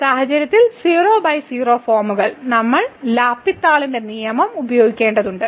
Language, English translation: Malayalam, So, in this case, so 0 by 0 forms we have to use the L’Hospital’s rule